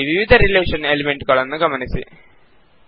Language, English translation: Kannada, Notice the various relation elements here